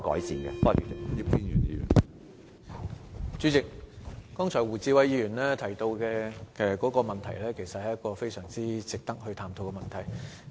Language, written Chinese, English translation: Cantonese, 主席，胡志偉議員剛才提到的問題，其實非常值得探討。, President the problem raised by Mr WU Chi - wai just now is indeed worth further study